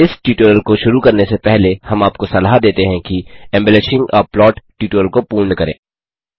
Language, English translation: Hindi, Before beginning this tutorial,we would suggest you to complete the tutorial on Embellishing a plot